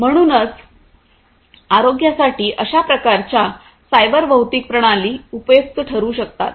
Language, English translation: Marathi, So, that is where you know in healthcare this kind of cyber physical systems can be useful